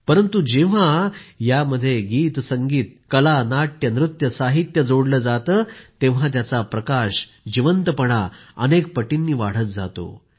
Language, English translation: Marathi, But when songmusic, art, dramadance, literature is added to these, their aura , their liveliness increases many times